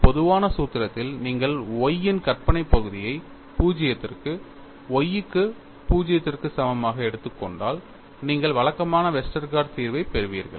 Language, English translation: Tamil, In the generic formulation, if you take the imaginary part of Y to 0, on y equal to 0, then you get the conventional Westergaard solution